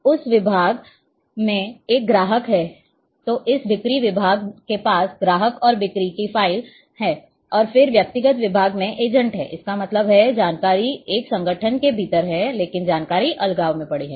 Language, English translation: Hindi, So, there is a customer then there that department then this sales department is having customer and sales files and then personal department is having agent; that means, the information is there within an organization, but information is lying in isolation